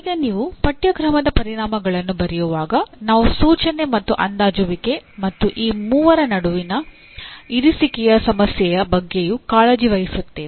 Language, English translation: Kannada, Now when you write course outcomes we are also concerned with the instruction and assessment as well and the issue of alignment between all the three